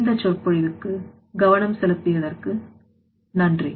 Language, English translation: Tamil, So, thank you giving attention for this lecture so thank you for that